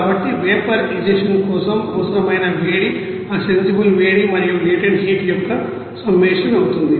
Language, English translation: Telugu, So, heat required for the vaporize you know that it will be summation of that sensible heat and latent heat